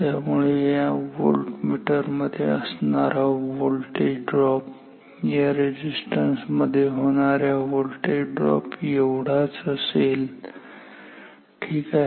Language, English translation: Marathi, Therefore, the voltage drop across the voltmeter is almost same as the voltage drop across this resistance ok